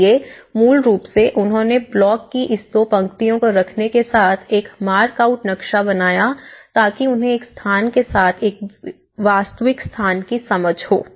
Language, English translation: Hindi, So basically, they made a mark out plan with keeping this two lines of the block so that they get a real space understanding with one is to one scale